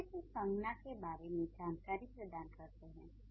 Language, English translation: Hindi, The adjectives provide more information about a noun